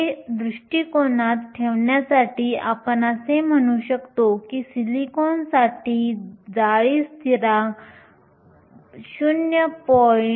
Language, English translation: Marathi, To put this into perspective, we can say that the lattice constant for silicon is 0